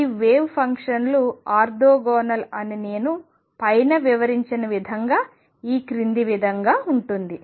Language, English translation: Telugu, Orthogonality that these wave functions are orthogonal in the sense of the way I have explained above it follows